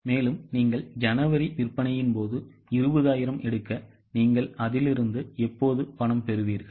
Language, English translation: Tamil, Now if you just take the sale of January, 20,000, when will you receive cash from it